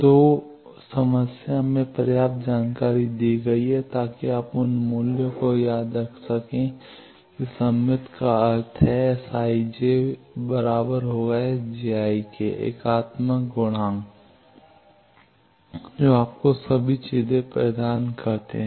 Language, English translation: Hindi, So, enough information is given in the problem to get you those values remember that symmetrical means s i j is equal to s j i unitary properties that gives you all the things